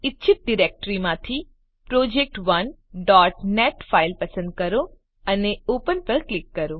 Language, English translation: Gujarati, Select project1.net file from desired directory and click on Open